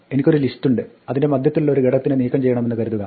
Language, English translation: Malayalam, Supposing, I have a list and I want to remove an element from the middle of the list